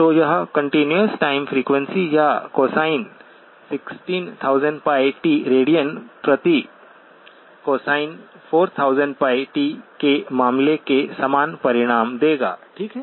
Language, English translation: Hindi, So a continuous time frequency or cosine 16,000pi t radians per, will produce the same result as the case of cosine 4000pi t, okay